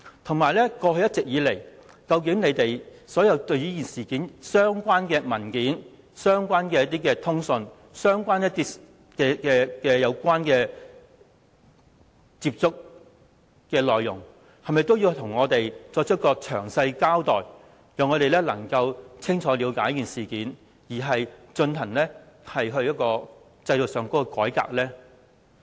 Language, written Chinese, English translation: Cantonese, 此外，過去一直以來，政府在這事件上的相關文件、通訊和曾作出的接觸的內容，是否也應向我們作出詳細交代，讓我們清楚了解事件，從而進行制度上的改革？, Besides should the Government not also give a detailed account of the documents communication and details of contacts already made in relation to this incident so as to give us a clear understanding of the incident with a view to reforming the system?